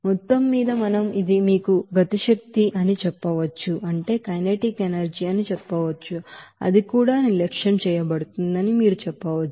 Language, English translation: Telugu, So overall we can say that this is you know kinetic energy you can say that will be also neglected